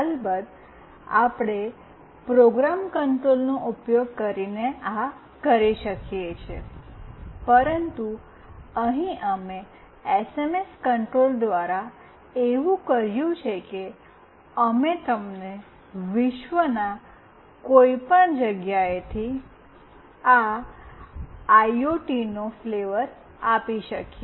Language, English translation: Gujarati, Of course, we can do this using program control, but here we have done through SMS control such that we can give you a flavor of this IoT from anywhere in the world